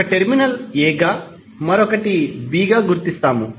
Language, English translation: Telugu, One terminal is given as a, another as b